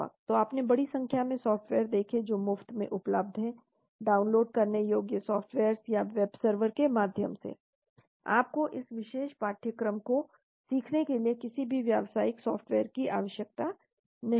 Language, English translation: Hindi, So you looked at the large number of software which are freely available, downloadable softwares or through web servers, you do not need any commercial software to learn this particular course